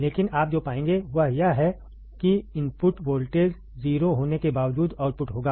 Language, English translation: Hindi, But what you will find is that even though the input voltage is 0, there will be an output